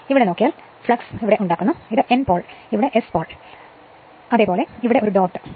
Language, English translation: Malayalam, Here it is look at that here it is make flux, and this N pole, and here it is S right, here it is dot